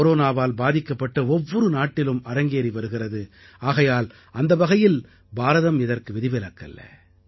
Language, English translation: Tamil, This is the situation of every Corona affected country in the world India is no exception